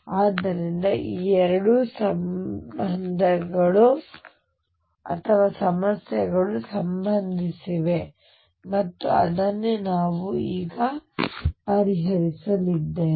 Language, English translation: Kannada, So, these 2 problems are related and that is what we have going to address now